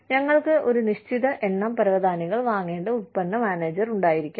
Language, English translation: Malayalam, We could have the product manager, who has to buy a certain number of carpets